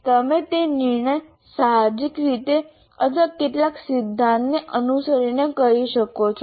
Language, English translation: Gujarati, You may do that decision intuitively or following some theory